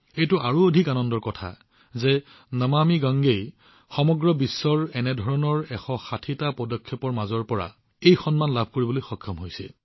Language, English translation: Assamese, It is even more heartening that 'Namami Gange' has received this honor among 160 such initiatives from all over the world